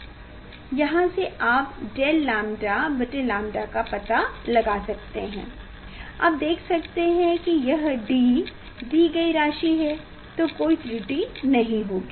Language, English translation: Hindi, from here you can find out del lambda by lambda equal to you can see this d is supplied there is no error here